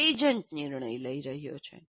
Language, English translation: Gujarati, An agent is making a decision